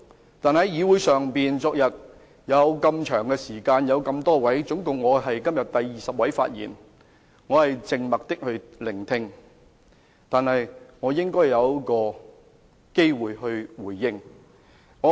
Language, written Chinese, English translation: Cantonese, 昨天在議會上有如此長時間和有多位議員發言，至今我是第二十位議員發言，我靜默地聆聽，但我也應有回應的機會。, Many Members spoke yesterday in this Council . A long time was spent and I am the twentieth Member to speak . I have been listening quietly and I should have a chance to respond